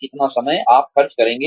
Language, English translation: Hindi, How much time, you will spend